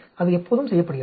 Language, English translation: Tamil, That is always done